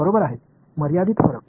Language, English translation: Marathi, Right, finite difference